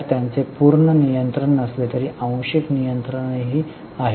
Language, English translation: Marathi, So they are also having though not full control but the partial control